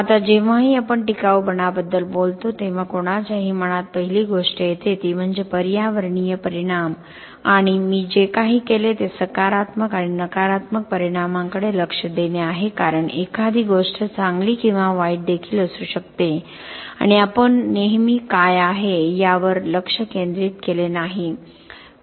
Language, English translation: Marathi, Now whenever we talk about sustainability the first thing that comes to anyone’s mind is the environmental impact and what I have done is to look at the positive and the negative impact because something can also be good or bad and we did not always focus on what is bad for the environment